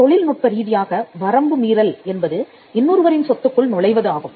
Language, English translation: Tamil, Infringement technically means trespass is getting into the property of someone else